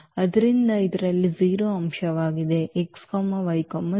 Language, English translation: Kannada, So, that is a 0 element in this R 3